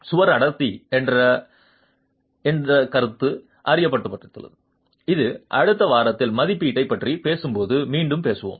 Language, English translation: Tamil, A concept of wall density is introduced and this is something we will again speak about when we talk of assessment in the next week